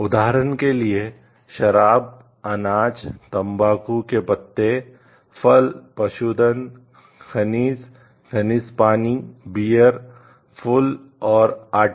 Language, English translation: Hindi, For example, wines, grains, tobacco leaf, fruit, cattle, minerals, mineral waters, beers, flowers and flower